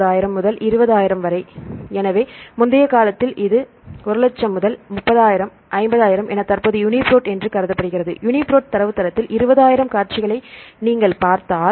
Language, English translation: Tamil, 21,000 to 20,000 plus right; so in earlier it was assumed to 100,000 to 30,000, 50,000 right currently the UniProt if you see around 20,000 sequences in the UniProt database right